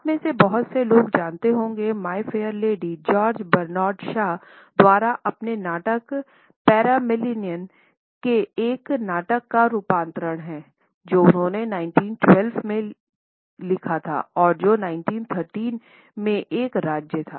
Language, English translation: Hindi, As many of you would know My Fair Lady is an adaptation of a play by George Bernard Shaw his play Pygmalion which he had spent in 1912 and which was a state in 1913